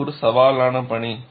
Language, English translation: Tamil, It is a challenging task